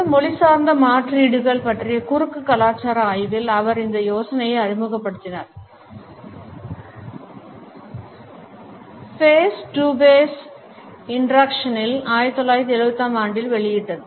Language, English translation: Tamil, He had introduced this idea in cross cultural study of paralinguistic ‘alternates’ in Face to Face Interaction which was published in 1975